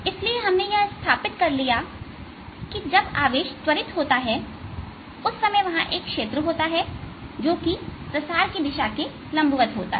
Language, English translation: Hindi, so we have established that there exists a field, in those times when the charge is accelerating, which is perpendicular to the direction of propagation